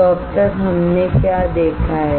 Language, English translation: Hindi, So, until now what we have seen